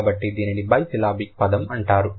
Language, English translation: Telugu, So, this is it, this is called a bicelibic word